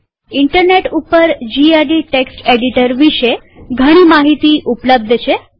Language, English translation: Gujarati, The Internet has a lot of information on gedit text editor